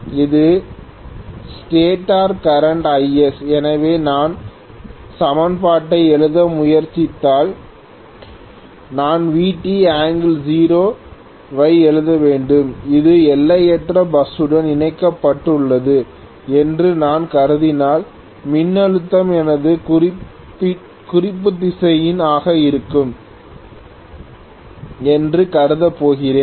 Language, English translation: Tamil, So, this is stator current Is, so If I try to write the equation I should write Vt angle 0 specially if I am assuming that this is connected to an infinite bus I am going to assume that the voltage is going to be my reference vector, so I can write that as Vt angle 0 without any problem